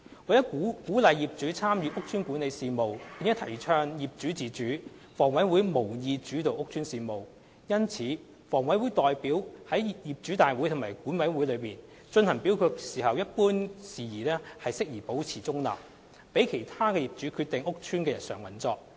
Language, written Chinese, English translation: Cantonese, 為了鼓勵業主參與屋邨管理事務並提倡業主自主，房委會無意主導屋邨事務。因此，房委會代表於業主大會及管委會進行表決一般管理事宜時保持中立，讓其他業主決定屋邨的日常運作。, In order to encourage owners participation in estate management and promote their autonomy HA will not dominate estate matters and its representatives will maintain a neutral stance in voting on general management issues at OC or management committee meetings to let other owners decide on the day - to - day management of the estates